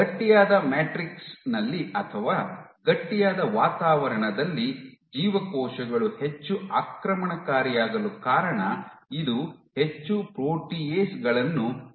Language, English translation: Kannada, This is the reason why on a stiff matrix or in a stiffer environment the cells are more invasive because they secrete more proteases